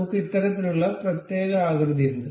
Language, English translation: Malayalam, We have this particular shape